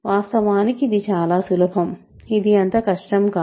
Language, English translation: Telugu, So, this is easy actually, this is not that difficult